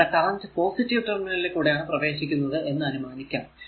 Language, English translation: Malayalam, And this is your this is this current is entering the positive terminal